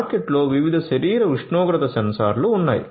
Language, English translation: Telugu, So, there are different body temperature sensors in the market